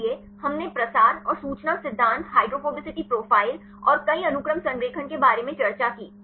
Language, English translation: Hindi, So, we discussed about the propensity and the information theory, hydrophobicity profiles and the multiple sequence alignment